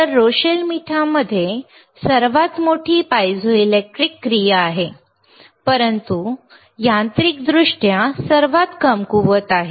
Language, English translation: Marathi, So, Rochelle salt has the greatest piezoelectric activity, but is mechanically weakest